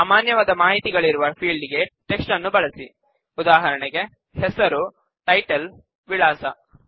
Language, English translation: Kannada, Use text, for fields that have general information, for example, name, title, address